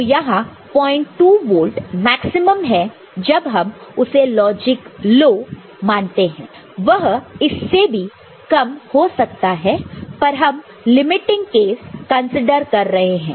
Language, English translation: Hindi, 2 volt maximum I mean when it is treated as logic low, it can be less than that, but let us consider the limiting case ok